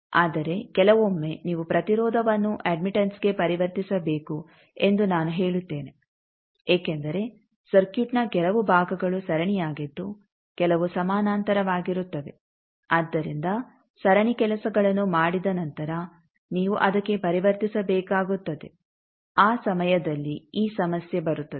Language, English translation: Kannada, But as I say that sometime to you need to convert and impedance to admittance because some portion of the circuit is series some portion is parallel so after doing series things you need to convert to that, that time this problem comes